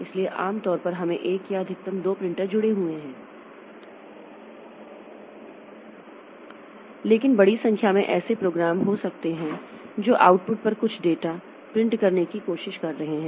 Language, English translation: Hindi, So, normally we have got one or at most two printers connected, but there may be large number of programs that are trying to print some data onto the output